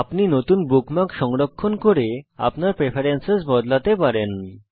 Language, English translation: Bengali, You can also save new bookmark and change your preferences here